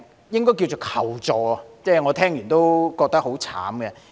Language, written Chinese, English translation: Cantonese, 應是求助，我聽到後亦覺得當事人很慘。, After hearing the details I also felt that the assistance seeker was miserable